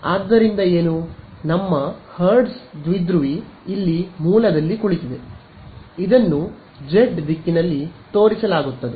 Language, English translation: Kannada, So, what is so, the little bit of terminology our hertz dipole is here sitting at the origin, it is pointed along the z hat a z direction